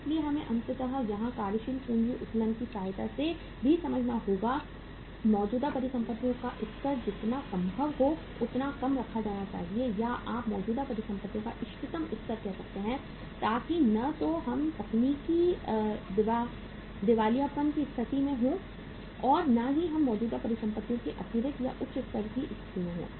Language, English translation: Hindi, So we have to ultimately here also with the help of working capital leverage also we understand that the level of current assets should be kept as low as possible or you can say optimum level of current assets so that neither we are into the situation of the technical insolvency nor we are into the situation of the extra or the higher level of current assets